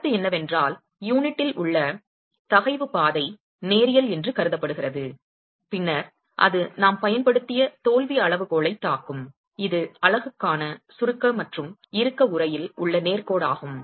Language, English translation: Tamil, The point is the stress path in the unit is assumed to be linear and then it hits the failure criterion that we have used which is the straight line in compression and tension envelope for the unit